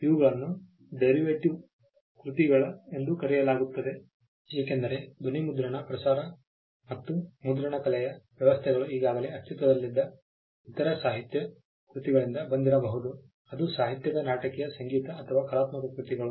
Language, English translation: Kannada, These are called derivative works because, sound recordings broadcast and typographical arrangements could have come from other works that already existed literary dramatic musical or artistic works